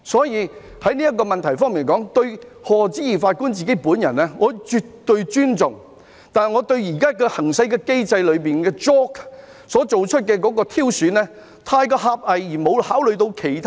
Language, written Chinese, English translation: Cantonese, 因此，在這問題上，對於賀知義法官本人，我絕對尊重，但我認為現行機制中推薦委員會所作出的挑選過於狹隘，並且沒有考慮其他國家。, As far as this matter is concerned I certainly respect Lord Patrick HODGE . However I hold the view that under the existing mechanism JORC has made its recommendations from a parochial perspective rather than considering candidates from other countries